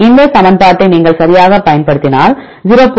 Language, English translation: Tamil, This is the equation or you can this is the equation right 0